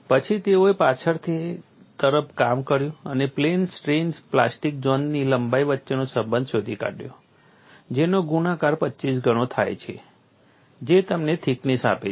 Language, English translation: Gujarati, Later on they work back work and found a relationship between plastic zone lengths in plane strain multiplied by 25 times gives to the thickness